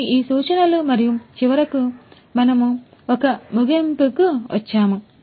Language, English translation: Telugu, So, these are these references and finally, we come to an end